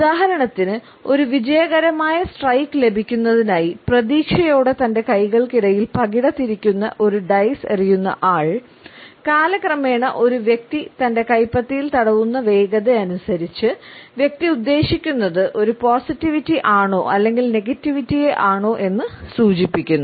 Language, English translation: Malayalam, A dice thrower who rubs the dice between his palms in order to expect a positive winning streak; over the passage of time the speed with which a person rubs the palm together has come to indicate a positivity or a negativity